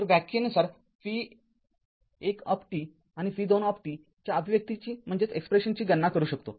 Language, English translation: Marathi, So, by definition we can calculate the expression for v 1 t and v 2 t